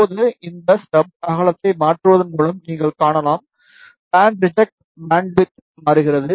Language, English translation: Tamil, Now, you can see varying this stub width, the band reject bandwidth is changing